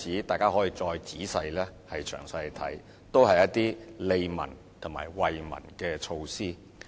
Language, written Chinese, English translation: Cantonese, 大家可以再詳細查看其他例子，都是一些利民及惠民的措施。, Members may further look at other examples carefully . They are also measures for the interest and benefit of people